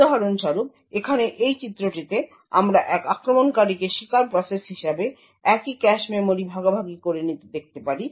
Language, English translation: Bengali, For example, in this figure over here we would have an attacker sharing the same cache memory as a victim process